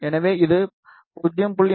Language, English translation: Tamil, One is 0